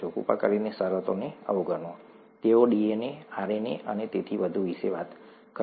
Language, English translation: Gujarati, Please ignore the terms, they’ll talk of DNA, RNA and so on and so forth